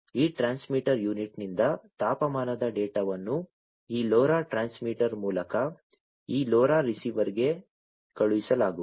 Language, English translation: Kannada, So, the temperature data from this transmitter unit is going to be sent from through this LoRa transmitter to this LoRa receiver, which is this one